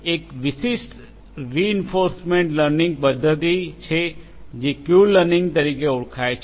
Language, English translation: Gujarati, There is a specific reinforcement learning mechanism which is known as Q learning ah